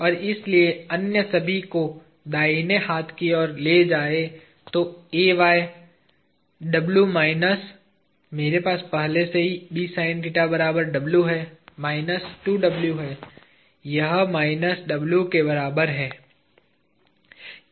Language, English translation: Hindi, And therefore, taking all the others to the right hand side, Ay equals W minus, I already have B sine theta is equal to two W, minus two W